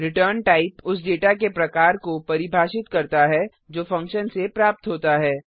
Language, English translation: Hindi, ret type defines the type of data that the function returns